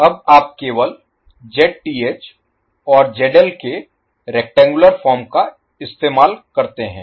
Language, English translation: Hindi, Now, let us represent ZL and Zth in rectangular form